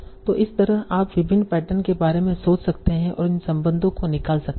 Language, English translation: Hindi, So like that you can think of various patterns and extract these relations